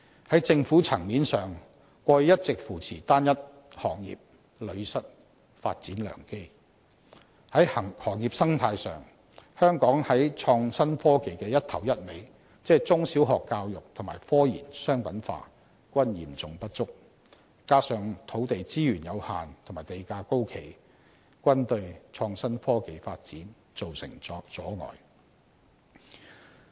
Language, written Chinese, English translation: Cantonese, 在政府層面上，過去一直扶持單一行業，屢失發展良機；在行業生態上，香港在創新科技的"一頭一尾"，即中小學教育和科研商品化均嚴重不足，加上土地資源有限和地價高企，均對創新科技發展造成阻礙。, The Government has all along been supporting one single industry in the past and therefore it has missed the opportunity for development frequently . As for the business environment Hong Kong is in serious shortage of the head and tail of IT that is primary and secondary education and commercialization of research findings on top of the limited land resources and high land prices they have all hampered the development of IT development